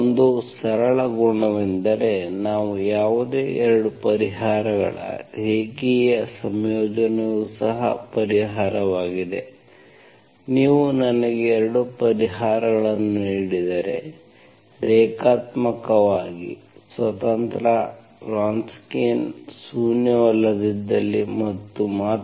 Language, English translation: Kannada, One simple property, linear combination of any 2 solutions if we give is also solution, 2 solutions if you give me which are, which I can say linearly independent, if and only if the Wronskian is nonzero